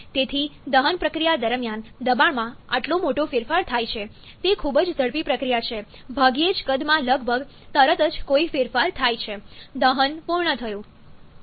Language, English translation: Gujarati, So, during the combustion process, this much change in pressure takes place, is a very rapid process hardly any change in volume almost instantaneously, the combustion is done